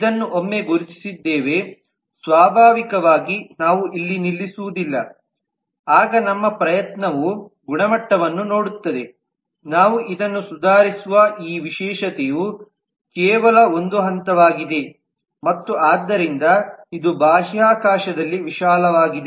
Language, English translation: Kannada, naturally we do not stop here we would once we have identified this then our effort would be to see can the quality of this specialization we improve this is just one level and certainly therefore it is wide in space